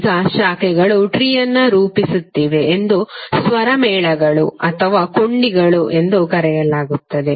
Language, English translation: Kannada, Now the branches is forming a tree are called chords or the links